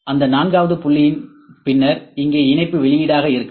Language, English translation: Tamil, After that fourth point here could be the output of the mesh